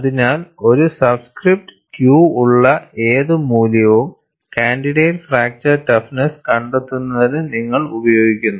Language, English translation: Malayalam, So, any value which is with a subscript Q, you use it for finding out the candidate fracture toughness